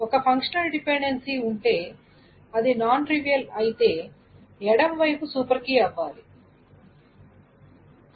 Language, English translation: Telugu, It tries to say that whenever there is a functional dependency, it's non trivial, then the left side must be on the super key